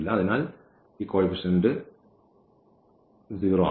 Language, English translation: Malayalam, So, with this coefficient is 0